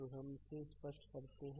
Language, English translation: Hindi, So, let us clear this